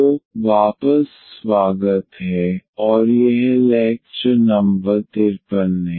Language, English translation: Hindi, So, welcome back and this is lecture number 53